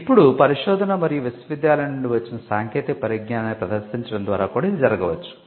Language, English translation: Telugu, Now, this could also happen by showcasing research and the technology that has come out of the university